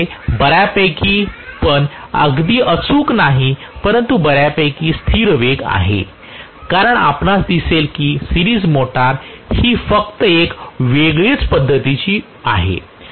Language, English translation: Marathi, They have fairly not exactly accurately but fairly constant speed because you would see that series motor is just the other way round